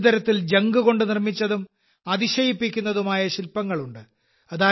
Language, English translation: Malayalam, Actually these are sculptures made from scrap; in a way, made of junk and which are very amazing